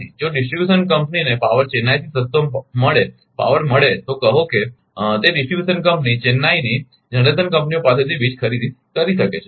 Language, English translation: Gujarati, If If distribution company get is power cheaper power from Chennai say, then that that ah distribution company can buy power from the generation companies in Chennai right